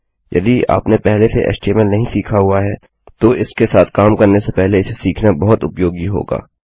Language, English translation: Hindi, If you havent learnt HTML already, it would be very useful to learn it before you start working with this